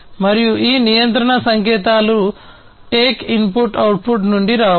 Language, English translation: Telugu, And these control signals can come from take input output